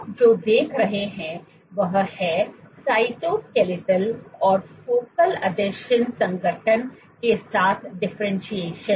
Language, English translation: Hindi, What you see is the differentiation is associated with cytoskeletal and focal adhesion organization